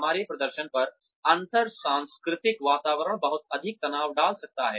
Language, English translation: Hindi, Intercultural environments can place, a lot of stress, on our performance